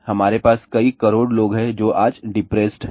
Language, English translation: Hindi, We have several corrodes of people who are depressed today